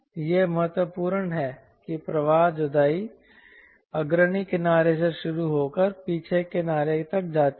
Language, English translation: Hindi, the flow separates, but this happens from leading edge to trailing edge